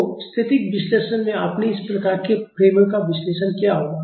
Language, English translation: Hindi, So, in static analysis you would have analyzed these type of frames